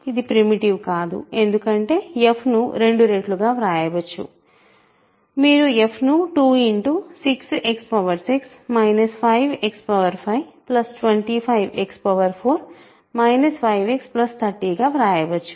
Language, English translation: Telugu, It is not primitive, right because f can be written as 2 times, you can factor 2, 6 X 6 minus 5 X 5 plus 25 X 4 minus 5 X plus 30, right